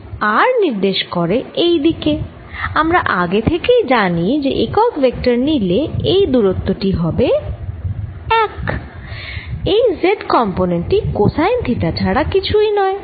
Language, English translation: Bengali, if i take the unit vector, its distance is one is z component is nothing but cosine of theta